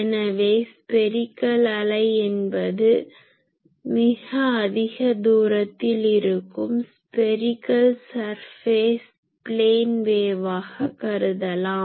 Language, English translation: Tamil, So, a spherical wave; that means, the spherical surface at a very large distance I can approximated as plane wave